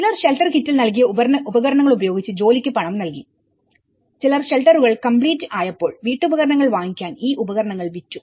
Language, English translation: Malayalam, And some paid for the labour in kind using the tools they were given in the shelter kit and some sold their tools once shelters were complete to buy household furnishings